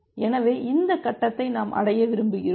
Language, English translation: Tamil, So, we want to reach at this point